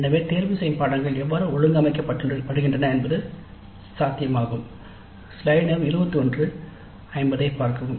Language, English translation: Tamil, So it is possible that this is how the electives are organized